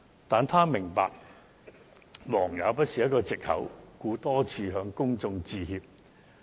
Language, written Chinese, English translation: Cantonese, 但是，她也明白忙也不是一個藉口，故此多次向公眾致歉。, However she also understood that she could not use her hectic work schedule as an excuse and thus she repeatedly apologized to the public